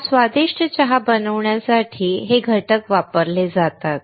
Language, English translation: Marathi, These are the ingredients used to make this delicious tea